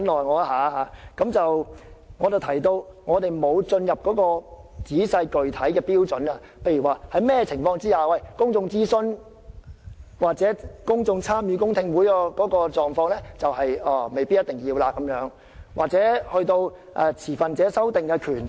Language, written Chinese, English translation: Cantonese, 我剛才提到我們未有討論仔細具體的標準，例如在甚麼情況下未必需要公眾諮詢或公眾參與的公聽會，又或未必需要持份者進行修訂的權力。, Just now I said that we had not yet discussed the detailed and specific criteria for invoking the rule such as the circumstances under which public consultations or public hearings with public participation may be unnecessary or where stakeholders may not necessarily need to exercise the right to propose amendments